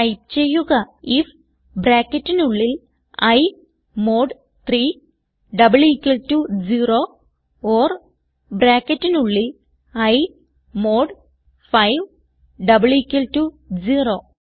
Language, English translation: Malayalam, So type, if within brackets i mod 3 double equal to 0 or within brackets i mod 5 double equal to 0